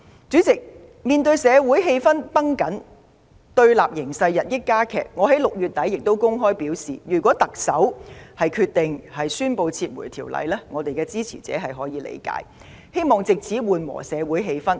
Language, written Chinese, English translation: Cantonese, 主席，面對社會氣氛繃緊，對立形勢日益加劇，我在6月底公開表示，如果特首決定宣布撤回《條例草案》，我們的支持者會理解，並希望此舉能緩和社會氣氛。, President in the face of the tense social atmosphere and the rapidly deteriorating situation of confrontation I openly said in June that our supporters would understand if the Chief Executive decided to announce the withdrawal of the Bill . We hoped that this would ease the social atmosphere